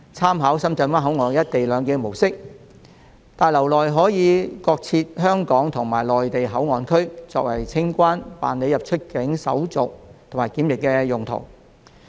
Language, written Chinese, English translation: Cantonese, 按深圳灣口岸實施"一地兩檢"的模式，新大樓將各設香港和內地口岸區，作為清關、辦理出入境手續及檢疫的用途。, With reference to the mode of implementing co - location arrangement at the Shenzhen Bay Port a Hong Kong Port Area and a Mainland Port Area will be set up at the new passenger terminal building for the conduct of customs immigration and quarantine procedures